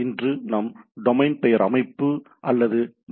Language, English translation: Tamil, Today we will discuss on domain name system or DNS